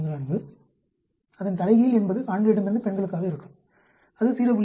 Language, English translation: Tamil, 44 for the inverse will be men to women that is 0